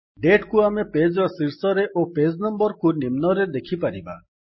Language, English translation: Odia, So we can see the Date at the top of the page and the page number at the bottom